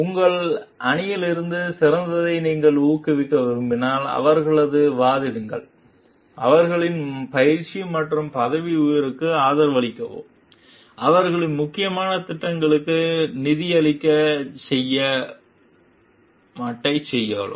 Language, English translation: Tamil, If you want to inspire the best from your team, advocate for them, support their training and promotion, and go to bat to sponsor their important projects